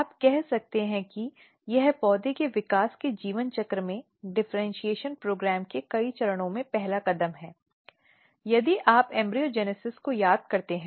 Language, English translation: Hindi, You can say this is the first step in many of the differentiation program in the life cycle of plant development, if you recall your embryogenesis